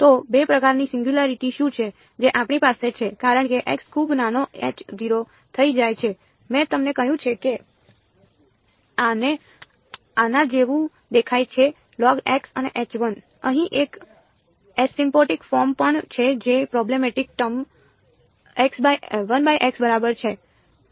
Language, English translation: Gujarati, So, what are the 2 kinds of singularities that we have as x becomes very small H naught 2 I have told you looks like this log of x and H 1 2 also has an asymptotic form over here which goes the problematic term is 1 by x right